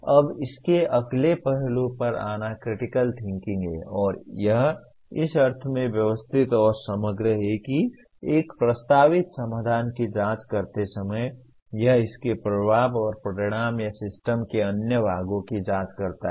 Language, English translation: Hindi, Now coming to the next aspect of this is critical thinking is systematic and holistic in the sense that while examining a proposed solution it examines its impact and consequences or other parts of the system